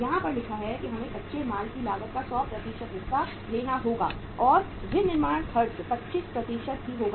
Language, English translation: Hindi, It is written here as that we have to take 100% of the raw material cost and the manufacturing expenses will be 25% only